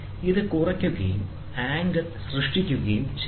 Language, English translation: Malayalam, So, it subtracts and generates the angle